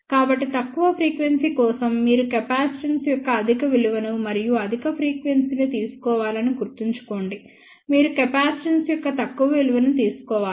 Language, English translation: Telugu, So, please remember that for lower frequency, you should take higher value of capacitance and for higher frequency, you should take lower value of capacitance